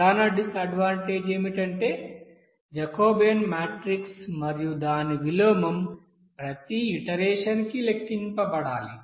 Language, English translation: Telugu, The major disadvantage is that, this here Jacobian matrix as well as its inversion has to be calculated for each iteration